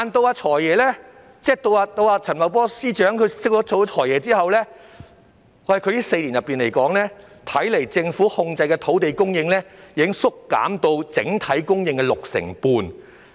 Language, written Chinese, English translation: Cantonese, 然而，他在升任財政司司長後的4年間，政府控制的土地供應，已縮減至只佔整體供應的六成半。, However during the four years after his promotion to the post of FS land supply under government control has shrunk to only 65 % of the total supply